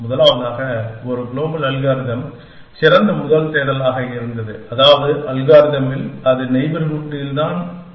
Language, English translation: Tamil, As the first, a global algorithm which best first search was, which means at the algorithm looks only at it is neighborhood